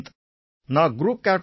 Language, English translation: Tamil, Sir I am Group Captain A